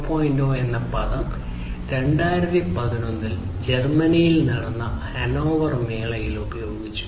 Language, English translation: Malayalam, 0 was coined in the Hannover fair in Germany in 2011